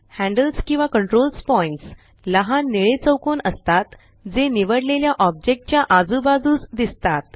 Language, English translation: Marathi, Handles or control points, are the small blue squares that appear on the sides of the selected object